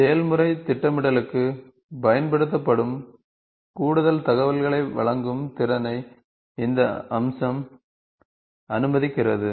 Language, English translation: Tamil, The feature allows the capability of providing additional information used for process planning